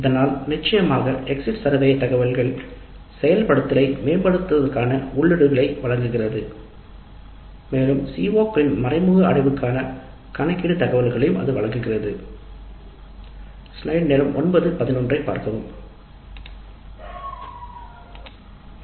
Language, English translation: Tamil, Thus the data from course exit survey provides inputs for improving the implementation as well as it provides the data for indirect attainment of COs, computation of indirect attainment